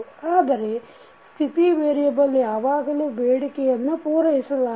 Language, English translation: Kannada, But, a state variable does not always satisfy this requirement